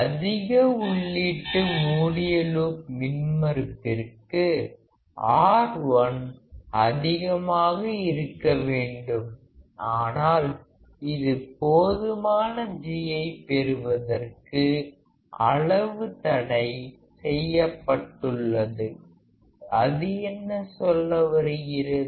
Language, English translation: Tamil, For high input close loop impedance; R1 should be large, but is limited to provide sufficient G; what does that mean